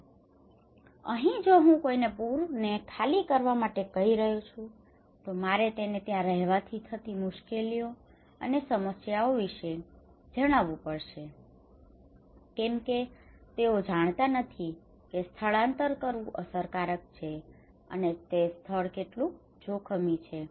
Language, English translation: Gujarati, So here if I am asking someone to evacuate flood evacuations, I told that he has a lot of problems like is that difficult decisions because he does not know how risky the place is and evacuation is effective or not